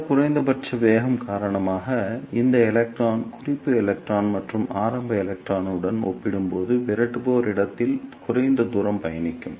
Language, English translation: Tamil, And because of this minimum velocity, this electron will travel lesser distance in the repeller space as compared to the reference electron as well as the early electrons